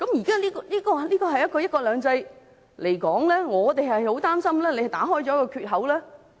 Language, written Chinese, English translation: Cantonese, 就"一國兩制"而言，我們很擔心政府打開了缺口。, In relation to one country two systems we are very worried that the Governments action will open a gap